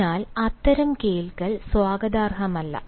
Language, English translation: Malayalam, so such listening is hot welcome